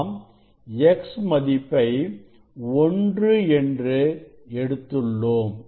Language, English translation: Tamil, that is why x we take 1 that n into m